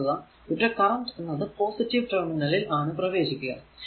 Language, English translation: Malayalam, And this is your this is this current is entering the positive terminal